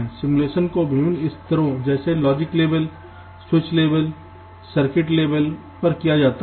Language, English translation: Hindi, simulation can be carried out at various levels, like logic levels, switch level or circuit level